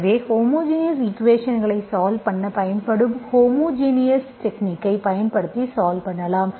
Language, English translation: Tamil, So as, then we integrate it using the homogeneous technique, homogeneous, just the technique that is used to solve the homogeneous equations